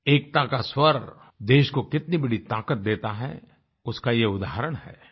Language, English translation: Hindi, It is an example of how the voice of unison can bestow strength upon our country